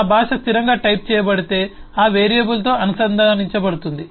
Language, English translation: Telugu, If my language is statically typed, then the type is associated with the variable